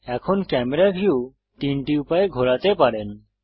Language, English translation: Bengali, Now you can move the camera view in three ways